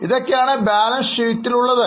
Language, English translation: Malayalam, We started with balance sheet